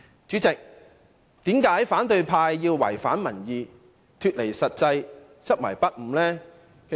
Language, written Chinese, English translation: Cantonese, 主席，為何反對派偏要違反民意，脫離現實，執迷不悟呢？, President why does the opposition camp choose to go against public opinion and distance themselves from the reality?